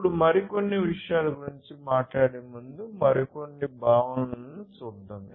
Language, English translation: Telugu, Now, let us look at few more concepts before we talk about few other things